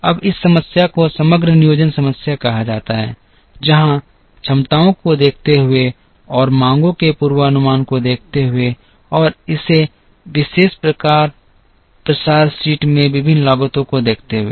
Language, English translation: Hindi, Now, this problem is called the aggregate planning problem where given capacities and given the forecast of demands and given the various costs in this particular spread sheet